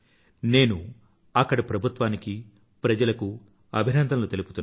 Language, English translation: Telugu, I congratulate the administration and the populace there